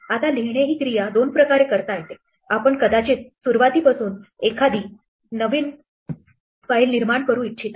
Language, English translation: Marathi, Now, write comes in two flavors, we might want to create a new file from scratch